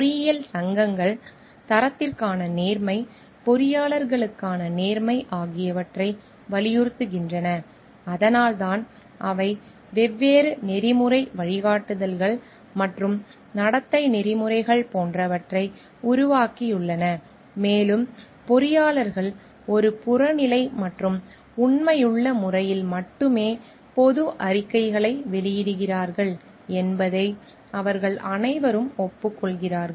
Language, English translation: Tamil, Engineering societies emphasizes the honesty for quality, honesty for engineers and that is why they have developed like different ethical guidelines and codes of conduct as we can see over here and they all agree that engineers issue public statement only in an objective and truthful manner